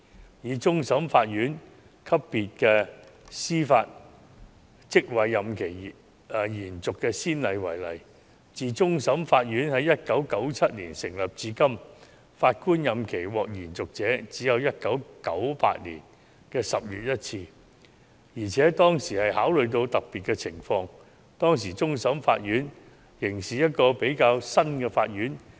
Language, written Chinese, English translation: Cantonese, 至於終審法院級別司法職位任期延續的先例，終審法院自1997年成立至今，只是在1998年10月曾有一位法官的任期獲得延續，而當時考慮的特別情況是終審法院成立不久。, As for the precedents of the extension of the term of office of judicial office at the CFA level since the establishment of CFA in 1997 only the term of one Judge was extended in October 1998 given the special situation that CFA had been established not long ago